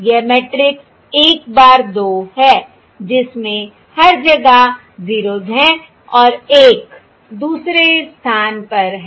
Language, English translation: Hindi, This is the matrix: 1 bar, 2, with 0s everywhere and 1 in the second position